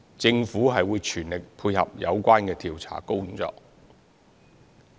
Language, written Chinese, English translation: Cantonese, 政府會全力配合有關的調查工作。, The Government will fully facilitate the investigation